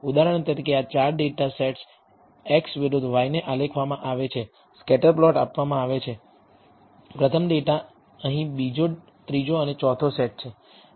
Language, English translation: Gujarati, For example, these 4 data sets are plotted x versus y, the scatter plot is given, first data set here second third and fourth